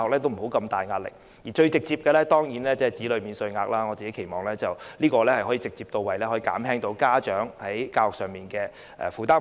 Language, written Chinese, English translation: Cantonese, 當然最直接的就是提高子女免稅額，我期望這樣可以直接到位，減輕家長在教育方面的負擔開支。, Of course the most straightforward method is to increase the child allowance for salaries tax which I hope can directly reduce parents burden of educational expenses